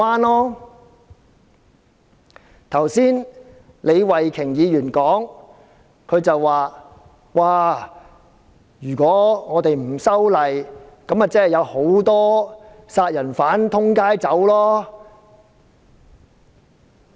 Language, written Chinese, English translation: Cantonese, 李慧琼議員剛才說，不修例，豈不是會有很多殺人犯在街上亂走？, Ms Starry LEE has just said that there would be homicides running amok in the streets in Hong Kong if the Ordinance is not amended